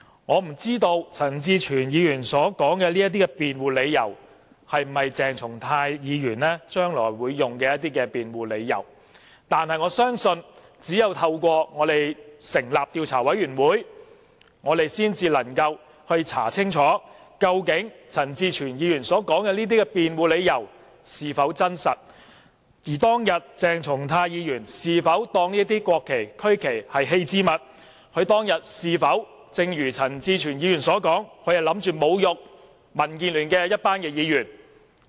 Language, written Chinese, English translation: Cantonese, 我不知道陳志全議員說的這些辯護理由，鄭松泰議員將來會否使用作為辯護，但我相信只有透過成立調查委員會，我們才能夠調查清楚，究竟陳志全議員所說的這些辯護理由，是否成立，而當天鄭松泰議員是否把這些國旗、區旗視為棄置物，以及是否正如陳志全議員所說的，打算侮辱我們這些民建聯議員？, I do not know if such defence put up by Mr CHAN Chi - chuen will be used by Dr CHENG Chung - tai in the future but I believe only through forming an investigation committee can we conduct a thorough investigation into whether the defence presented by Mr CHAN Chi - chuen is valid; whether Dr CHENG Chung - tai considered those national and regional flags discarded articles; and whether he intended to insult us Members from DAB just as Mr CHAN Chi - chuen suggested